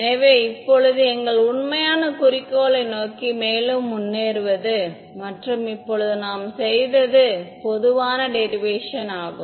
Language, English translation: Tamil, So, now, proceeding further towards our actual objective, what we did right now was the general derivation